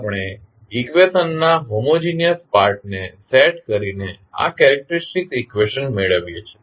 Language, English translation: Gujarati, We obtain this characteristic equation by setting the homogeneous part of the equation